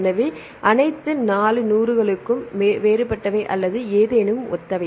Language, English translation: Tamil, So, all the 4 hundred elements are different or any anything is similar